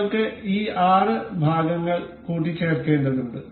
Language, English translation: Malayalam, We have this six part needs to be assembled to each other